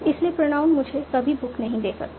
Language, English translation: Hindi, So, pronoun can never give me a book